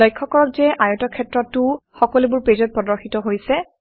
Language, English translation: Assamese, Notice, that the rectangle is also displayed in all the pages